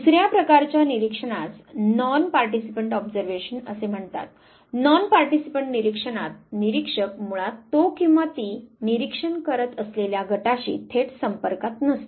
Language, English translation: Marathi, The other type of observation what is called as non participant observation; non participant observation where the observer basically is not in direct contact with the group that he or she is trying to observe